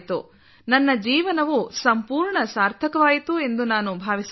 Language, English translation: Kannada, Meaning, I believe that my life has become completely meaningful